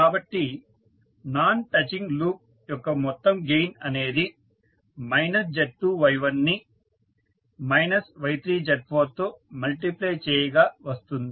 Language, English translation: Telugu, So, the total gain of non touching loop would be minus Z2 Y1 into minus of Y3 Z4 so minus minus will become plus and you will get Z2 Y1 multiplied by Y3 Z4